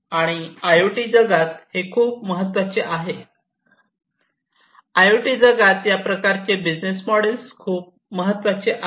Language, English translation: Marathi, And this is very important in the you know IoT world this kind of business model is very important in the IoT world